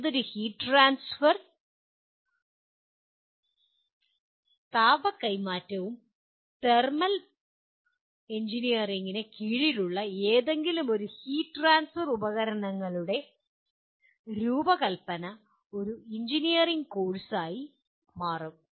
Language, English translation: Malayalam, But whereas any heat transfer, design of any heat transfer equipment under thermal engineering will constitute an engineering course